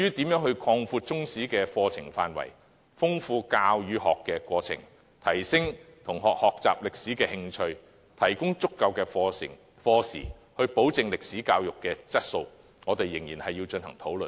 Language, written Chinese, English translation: Cantonese, 至於如何擴闊中史的課程範圍，豐富教與學的過程，提升同學學習歷史的興趣，以及提供足夠課時，保證歷史教育的質素，我們仍要進行討論。, As regards how to extend the coverage of the curriculum enrich the teaching and learning process enhance students interest in learning history provide sufficient lesson time and ensure the quality of history education more discussions should be held